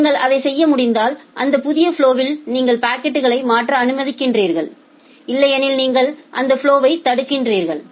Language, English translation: Tamil, If you are able to do that then you admit or allow that new flow to transfer the packet otherwise you block that flow